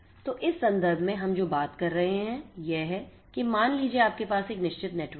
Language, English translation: Hindi, So, what we are talking about in this context is let us say that you have a certain network like this